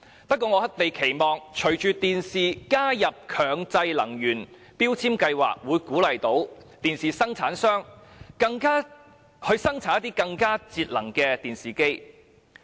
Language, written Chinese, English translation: Cantonese, 不過，我們期望隨着電視機被納入強制性標籤計劃，可以鼓勵生產商生產更節能的電視機。, Nevertheless with the inclusion of TVs under MEELS I hope manufacturers will be encouraged to produce more energy - efficient TVs